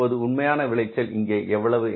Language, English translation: Tamil, And what is the actual yield here